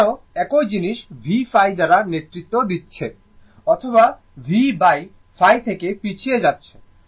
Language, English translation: Bengali, Same thing here also, v is leading I by phi or I lags from V by phi, right